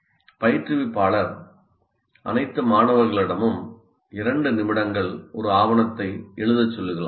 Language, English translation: Tamil, The instructor can ask all the students to write for two minutes a paper